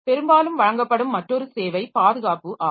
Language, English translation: Tamil, Then another service that often provided is the protection and security